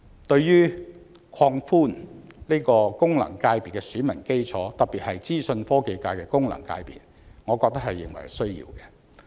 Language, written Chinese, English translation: Cantonese, 對於擴闊功能界別的選民基礎，特別是資訊科技界功能界別，我覺得實屬必要。, As for broadening the electorate of FCs particularly the Information Technology FC I think it is indeed necessary to do so